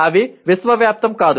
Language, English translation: Telugu, They are not necessarily universal